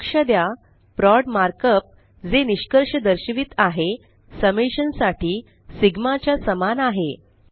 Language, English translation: Marathi, Notice the mark up prod which denotes product, similar to sigma for summation